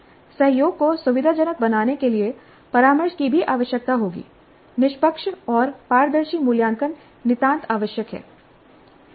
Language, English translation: Hindi, Mentoring to facilitate collaboration also would be required and fair and transparent assessment is absolutely essential